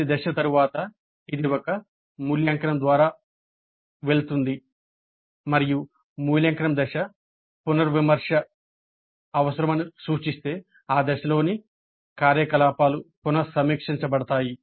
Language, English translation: Telugu, After every phase it goes through an evaluate and if the evaluate phase indicates that a revision is necessary, then the activities in that phase are revisited